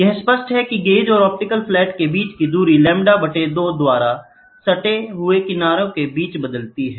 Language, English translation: Hindi, It is clear that the distance between the gauge and the optical flat changes by lambda by 2, between the adjacent fringes